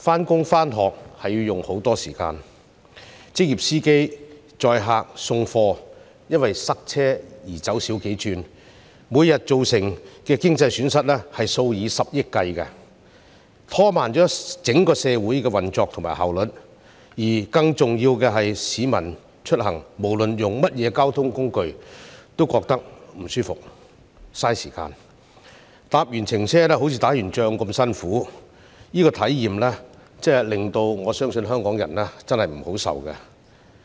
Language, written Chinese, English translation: Cantonese, 上班和上學要花很長時間，載客和送貨的職業司機也因為塞車而要減少接工作，每天造成的經濟損失數以十億元計，拖慢了整個社會的運作和效率，而更重要的是，市民出行無論使用甚麼交通工具都感到不舒適，浪費時間，下車後好像打完仗般辛苦，我相信對香港人來說，這種體驗真的不好受。, Professional drivers who carry passengers or deliver goods have to reduce their pick - up work due to traffic jams . Economic loss in billions of dollars is incurred every day which slows down the operation and efficiency of the entire society . It is more important that citizens feel uncomfortable and waste much time regardless of the means of transport they use